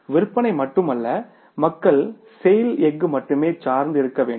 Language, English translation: Tamil, So, it is not only the sale, the people have to be dependent on the sale steel only